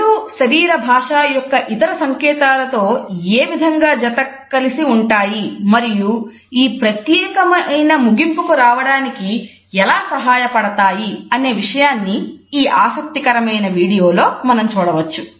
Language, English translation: Telugu, A very interesting we do you suggest how eyes are connected with other cues from body language and how they help us to reach a particular conclusion